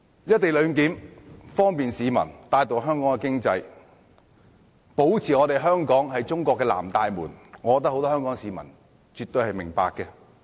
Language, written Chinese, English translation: Cantonese, "一地兩檢"的安排方便市民、帶動香港經濟，以及保持香港是中國的"南大門"，我覺得很多香港市民絕對明白。, I think that many Hong Kong people perfectly understand that the co - location arrangement will facilitate the movement of the public give a boost to the economy and retain Hong Kongs status as Chinas South Gate